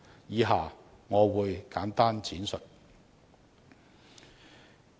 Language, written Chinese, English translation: Cantonese, 以下我會簡單闡述。, I will now briefly explain them